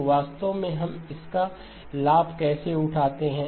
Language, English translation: Hindi, So really how do we take advantage of that